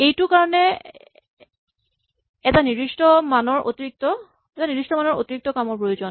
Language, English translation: Assamese, This requires a certain amount of extra work